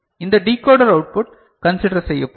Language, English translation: Tamil, This decoder output will be considered